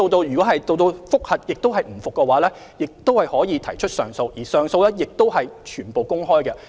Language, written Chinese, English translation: Cantonese, 如果經覆核後當事人仍不服，亦可提出上訴，而上訴聆訊亦完全公開。, If the person concerned is still not convinced after the review he may apply for a review again and the hearing will also be open to the public